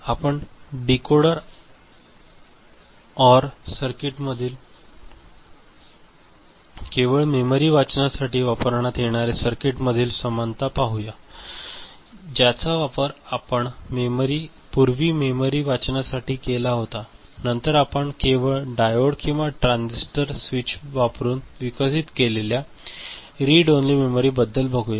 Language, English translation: Marathi, We shall see the similarity between Decoder OR circuit, the paradigm that we had used before and read only memory, then we shall see read only memory using developed using diode or transistor switch ok